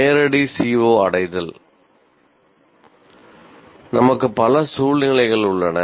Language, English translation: Tamil, Now direct CBO attainment, we have several situations